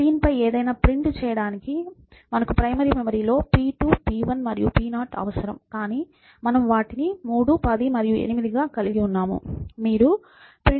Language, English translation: Telugu, So, to print something on the screen, you need to p 2, p 1, p0 stored in the main memory, but we have them as 3, 10 and 8